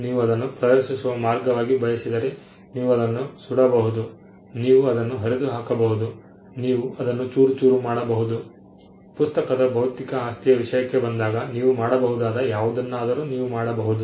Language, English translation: Kannada, If you want to show it as a way of demonstration you can burn it, you can tear it apart, you can shred it, you could do anything that is possibly you can do when it comes to the physical aspects of the book